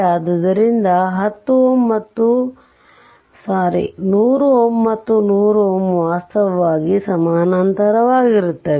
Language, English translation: Kannada, So, this 100 ohm and 100 ohm actually they are in parallel right